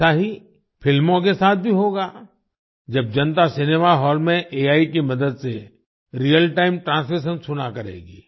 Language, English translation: Hindi, The same will happen with films also when the public will listen to Real Time Translation with the help of AI in the cinema hall